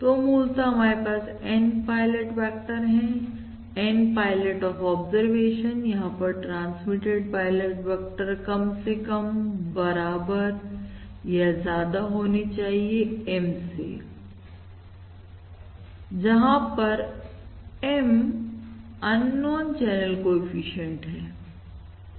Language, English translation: Hindi, So basically we have N pilot vectors, the N pilot of observations, these observations, that is, number of transmitted pilot vectors has to be at least equal to, or basically equal to or greater than M, where M is the number of unknown channel coefficients